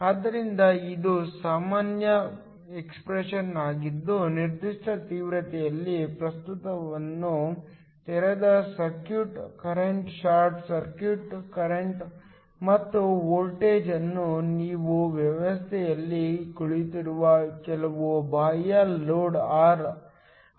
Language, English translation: Kannada, So, this is a general expression that relates the current at a particular intensity to both the open circuit current, the short circuit current and also the voltage when you have some external load R sitting on the system